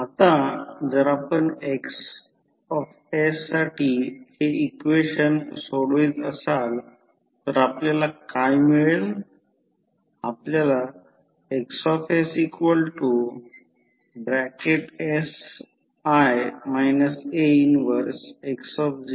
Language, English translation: Marathi, Now, if you solve for Xs this particular equation what you get